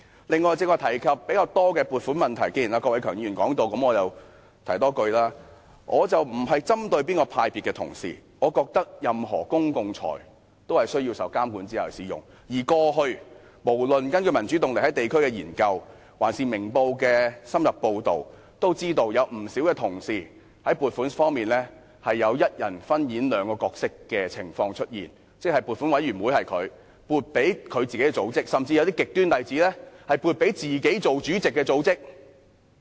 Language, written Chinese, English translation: Cantonese, 此外，剛才大家較多提及撥款的問題，既然郭偉强議員也曾談及，我也想說說，我並非針對哪個派別的同事，我認為任何公共財政均需要在受監管之下使用，而過去無論根據民主動力在地區的研究，還是《明報》的深入報道，我們也知道有不少同事在撥款方面有一人分演兩個角色的情況出現，即他本身是撥款委員會委員，並且撥款給自己的組織，甚至有些極端的例子是撥款給自己擔任主席的組織。, Furthermore Members have talked more about the question of funding earlier and since Mr KWOK Wai - keung has talked about it I would like to say something too . I do not mean to target colleagues from any particular party or grouping but I think the use of public funds has to be monitored in all cases and whether from the studies conducted by Power for Democracy in districts or the in - depth reports made by Ming Pao Daily News we learnt that many colleagues have concurrently taken up two roles in respect of funding that is a person being a member of the committee for approving funding applications approved funding for his own organization or even in some extreme cases he approved funding for the organization chaired by himself